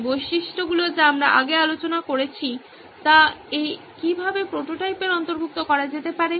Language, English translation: Bengali, How these features we have discussed previously can be incorporated into this prototype